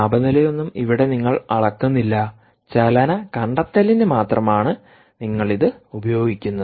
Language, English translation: Malayalam, here you are not measuring any temperature, you are only using it for motion detection